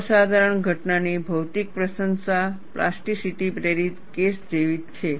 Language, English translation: Gujarati, The physical appreciation phenomena is very similar to plasticity induced case